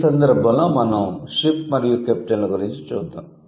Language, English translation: Telugu, So, in this case we will check ship and captain